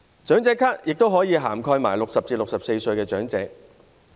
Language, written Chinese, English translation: Cantonese, 長者咭也可以涵蓋60歲至64歲的長者。, The Senior Citizen Card can also be extended to elderly persons aged between 60 and 64